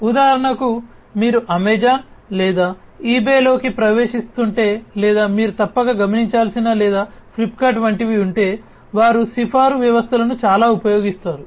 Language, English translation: Telugu, For example, if you are getting into Amazon or eBay or something you must have observed or even like Flipkart, etcetera they use recommender systems a lot